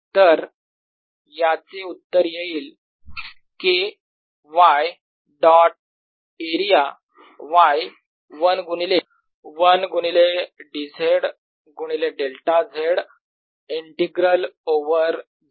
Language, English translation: Marathi, so this is going to be equal to k y dot area y one times d, z times delta z integral over z, it gives me k